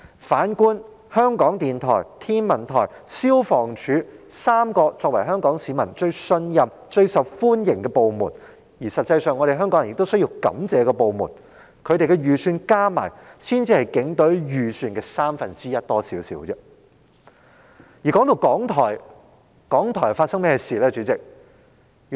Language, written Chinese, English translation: Cantonese, 反觀香港電台、香港天文台和香港消防處這3個作為香港市民最信任、最受歡迎，而實際上香港人也需要感謝的部門，它們的預算開支加起來才稍多於警隊預算開支的三分之一。, In contrast the combined amount of the estimated expenditures for the Radio Television Hong Kong RTHK the Hong Kong Observatory and the Hong Kong Fire Services Department is only slightly more than one third of that of the Police Force although these three government departments are most trusted by and most popular among Hong Kong people and the general public should in fact be thankful to them